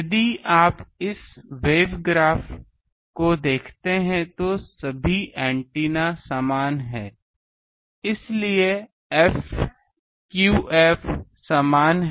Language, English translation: Hindi, If you look at this wave graph that all these antennas there they are identical antennas so there f theta phi is same